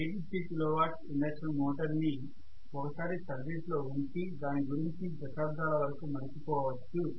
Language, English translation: Telugu, So 850 kilo watt induction motor you put it in service, forget about it for several decades